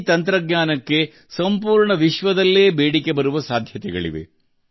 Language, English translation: Kannada, Demand for this technology can be all over the world